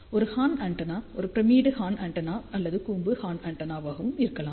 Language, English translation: Tamil, A horn antenna can be a pyramidal horn antenna or conical horn antenna